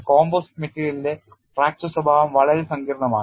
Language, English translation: Malayalam, So, fracture behavior in composite material is very, very complex